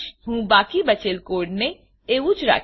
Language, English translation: Gujarati, I will retain the rest of the code as it is